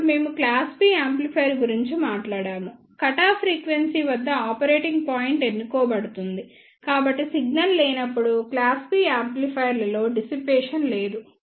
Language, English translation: Telugu, Then we talked about the class B amplifier the operating point is chosen at the cutoff frequency, so there are no dissipation in class B amplifiers in the absence of the signal